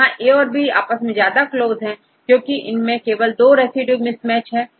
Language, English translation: Hindi, Here A and B are close to each other because we have the mismatch of only two residues